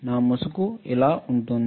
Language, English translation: Telugu, My mask will look like this